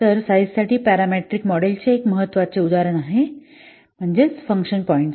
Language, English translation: Marathi, So one of the important example for parameter model for size is function points